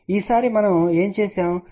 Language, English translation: Telugu, And this time what we have done